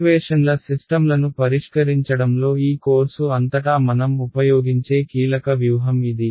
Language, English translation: Telugu, Again this is the key strategy we will use throughout this course in solving systems of equations right